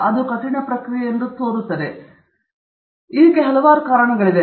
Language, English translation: Kannada, It’s not an easy process and there are various reasons for it